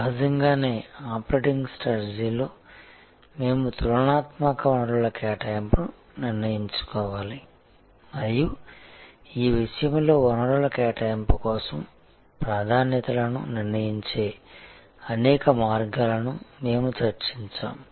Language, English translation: Telugu, Obviously, in operating strategy we have to decide the comparative resource allocation and in this respect, we had discussed number of ways we can decide upon the priorities for resource allocation